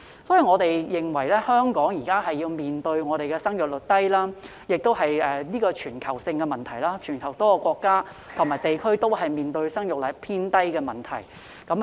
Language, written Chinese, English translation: Cantonese, 因此，香港面對生育率低的問題，而這亦是全球性問題，全球多個國家及地區都正面對生育率偏低的問題。, Therefore Hong Kong is facing the problem of low fertility rates which is also a global problem . Many countries and regions around the world are facing the problem of low fertility rates